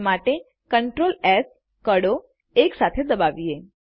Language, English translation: Gujarati, Press the CTRL+S keys together to do this